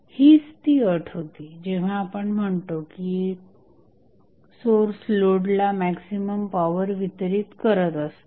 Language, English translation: Marathi, So, this was the condition when we say that the source is delivering maximum power to the load